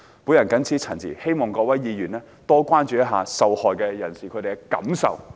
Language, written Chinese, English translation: Cantonese, 我謹此陳辭，希望各位議員多多關注受害人士的感受。, With these remarks I hope that Members will have more concern for the victims feelings